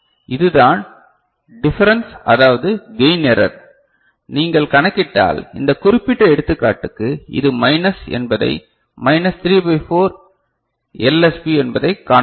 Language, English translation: Tamil, So, this is the difference that is the gain error, and if you calculate, you can see that this is minus for this particular example minus 3 by 4 LSB ok